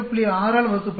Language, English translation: Tamil, 3 divided by 12